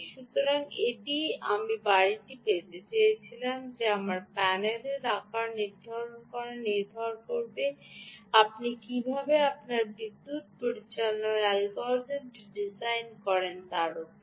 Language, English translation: Bengali, so that's what i wanted to derive home: that your sizing in the panel will large depend on how you design your power management algorithm